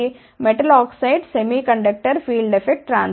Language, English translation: Telugu, Metal oxide semi conductor field affect transistor